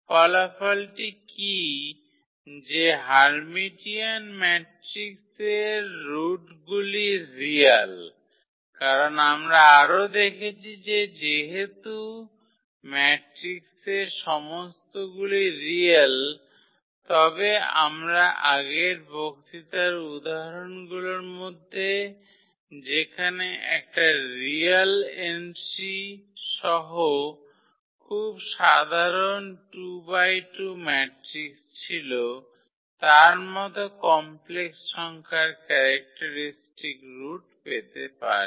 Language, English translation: Bengali, So, what is this result that for Hermitian matrices the roots are real because what we have also seen that though the matrix having all real entries, but we can get the characteristic roots as complex number we have seen in previous lectures one of the examples where we had a very simple 2 by 2 matrix with real entries